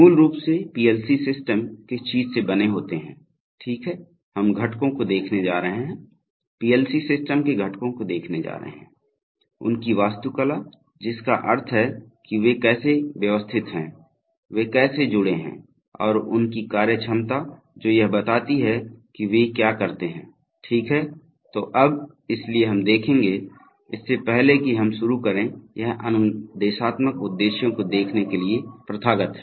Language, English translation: Hindi, Basically, what PLC systems are made of, right, so we are going to look at components, we are going to look at components of the PLC system, their architecture by which, I mean that how they are organized, how they are connected and their functionality, that is describing what they do, okay, so now, so let us see, before we begin it is customary to see the instructional objectives